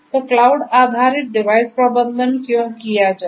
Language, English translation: Hindi, So, why cloud based; why cloud based; why cloud based device management